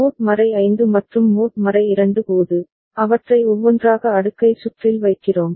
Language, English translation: Tamil, And when mod 5 and mod 2, we are putting them one after another in the cascaded circuit